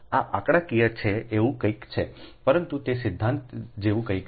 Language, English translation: Gujarati, it is numerical, but it is something like theory, right